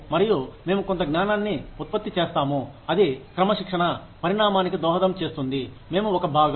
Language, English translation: Telugu, And, we produce some knowledge, that contributes to the evolution of the discipline, we are a part of